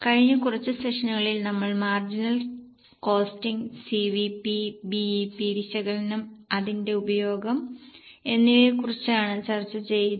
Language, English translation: Malayalam, In last few sessions, in last few sessions we are discussing about marginal costing, CVP, BP analysis and its applications